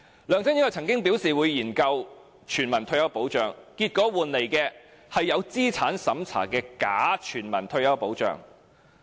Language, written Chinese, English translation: Cantonese, 梁振英曾經表示會研究全民退休保障，結果我們得到的是有資產審查的假全民退休保障。, LEUNG Chun - ying once said he would conduct a study on universal retirement protection; the outcome is a bogus universal retirement protection with means tests